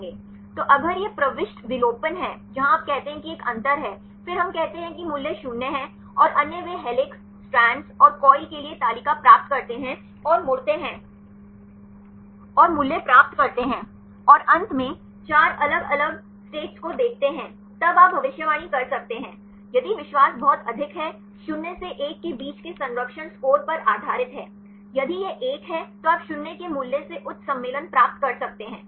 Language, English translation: Hindi, So, if it is insertion deletion where you say there is a gap; then we say value is 0 and the others they get the table for the helix, strand, and coil and turn and get the values and finally, look at the 4 different states; then you can predict; if the confidence is very high; is based on the conservation score between 0 to 1, if it is 1 then you can get the high conference than the value of 0